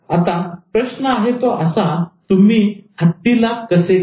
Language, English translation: Marathi, Seriously also, how do you eat an elephant